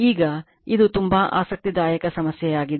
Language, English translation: Kannada, Now, , this is a very interesting problem